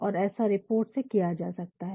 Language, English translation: Hindi, And, that is possible through reports